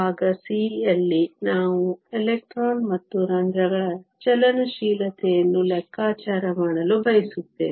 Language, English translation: Kannada, In part c, we want to calculate the electron and hole mobilities